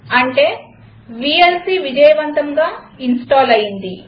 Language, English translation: Telugu, This means vlc has been successfully installed